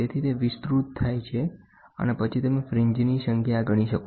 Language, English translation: Gujarati, So, it gets amplified and then you count the number of fringes